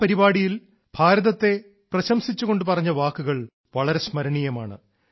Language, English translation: Malayalam, The words that were said in praise of India in this ceremony are indeed very memorable